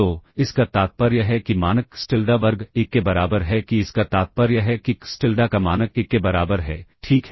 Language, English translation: Hindi, So, this implies norm xTilda square equals 1 that this implies norm of xTilda equals 1, ok